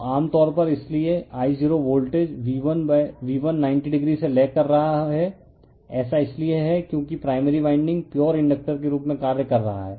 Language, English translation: Hindi, So, generally that your therefore, the I0 is lagging from the voltage V1 / 90 degree, it is because that primary winding is acting as a pure inductor right